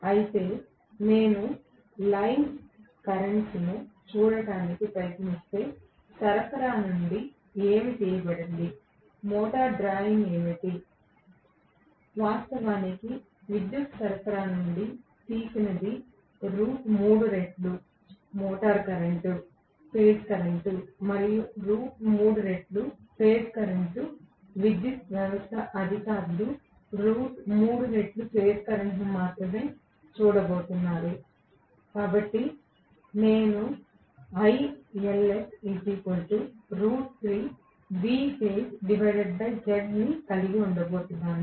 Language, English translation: Telugu, Whereas, if I try to look at line currents right, what is drawn from the supply, what is the motor drawing is different, what is actually drawn from the power supply is root 3 times that motor current, phase current and for power system authorities are going to look at only this root 3 times the phase current right